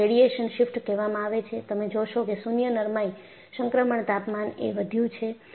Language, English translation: Gujarati, So, this is called radiation shift and you find the nil ductility transition temperature has increased